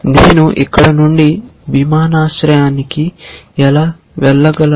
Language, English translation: Telugu, How do I go from here to the airport